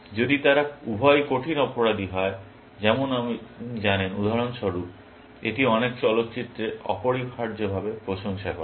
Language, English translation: Bengali, If both of them are die hard criminals, like you know, for example, it is eulogolized in many films essentially